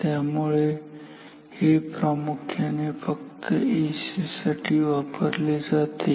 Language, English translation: Marathi, So, this is used mainly for AC